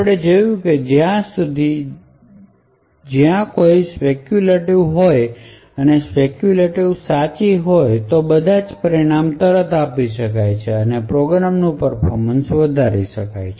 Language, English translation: Gujarati, So does we see that if there is a speculation and the speculation is correct then of all of these results can be immediately committed and the performance of the program would increase constantly